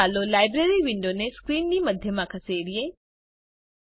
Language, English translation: Gujarati, * First, lets move the Library window to the centre of the screen